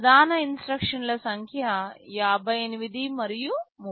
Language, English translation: Telugu, The number of main instructions are 58 and 30